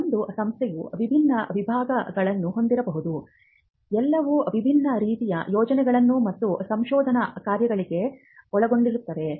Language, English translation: Kannada, In an institution may have different departments, all involving in different kinds of projects and research work